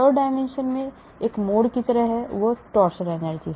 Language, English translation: Hindi, This is like a twist in the third dimension, that is the torsion energy